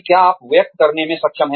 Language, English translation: Hindi, What you are able to express